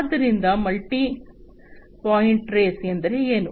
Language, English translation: Kannada, So, multi point trace means what